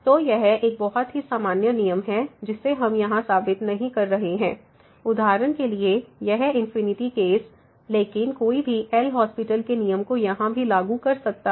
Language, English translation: Hindi, So, this is a very general rule which we are not proving here for example, this infinity case, but one can apply the L’Hospital’s rule their too